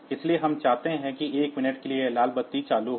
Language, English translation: Hindi, So, we want that for 1 minute this red light should be on